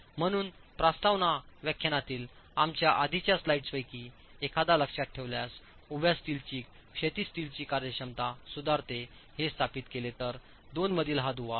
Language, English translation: Marathi, If you remember one of our earlier slides in the introductory lecture, it is established that the vertical steel improves the effectiveness of the horizontal steel